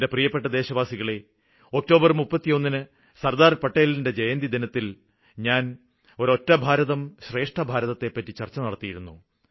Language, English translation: Malayalam, My dear countrymen, on 31st October on the Anniversary of Sardar Patel I had discussed about "Ek Bharat Shreshtha Bharat" One India, Best India